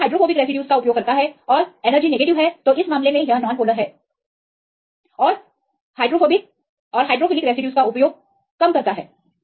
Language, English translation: Hindi, So, this use the hydrophobic residues and negative for energy in this case it is less for the non polar and using hydrophilic residues